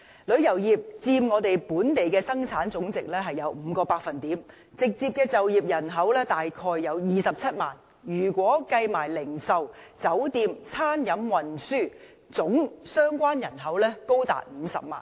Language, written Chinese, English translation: Cantonese, 旅遊業佔本地生產總值 5%， 直接就業人口大約27萬，如果一併計算零售、酒店、餐飲及運輸業，相關人口總數更高達50萬。, The tourism industry contributes to 5 % of our GDP and directly employs a population of about 270 000 . If employees of the retail hotels catering and transport industries are also included the total number of employees will be as high as 500 000